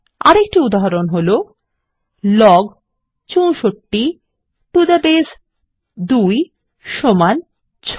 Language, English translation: Bengali, Here is another example: Log 64 to the base 2 is equal to 6